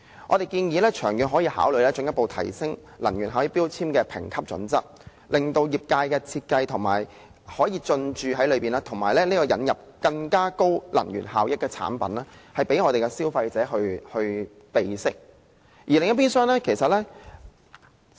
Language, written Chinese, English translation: Cantonese, 我們建議長遠可以考慮進一步提升能源標籤的評級準則，令業界可以參與設計，引入更高能源效益的產品，讓消費者備悉。, We advise further enhancing the criteria of grading energy labels in the long run so as to enable the trades to participate in the design process and introduce products with higher energy efficiency for consumers information